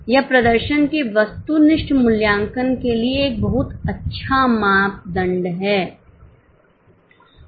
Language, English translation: Hindi, It serves as a very good yardstick for objective evaluation of performance